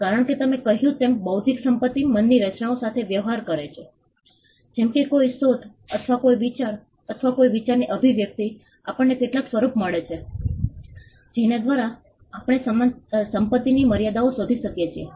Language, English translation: Gujarati, As I said, because intellectual property deals with creations of the mind; like, an invention or an idea or an expression of an idea, we lead to have some form by which we can ascertain the limits of property